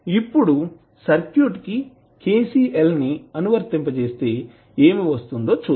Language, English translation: Telugu, Now, if you apply kcl in this circuit what you can do